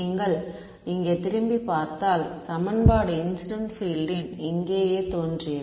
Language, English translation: Tamil, If you look back over here at are equation, the incident field appeared over here right